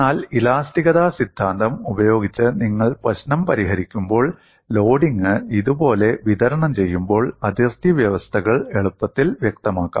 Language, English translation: Malayalam, But when you solve the problem by theory of elasticity, the boundary conditions could be easily specified when the loading is distributed like this